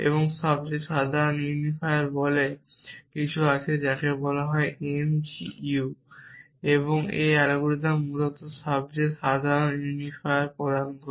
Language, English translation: Bengali, And there is something called the most general unifier which is called m g u and this algorithm essentially returns the most general unifier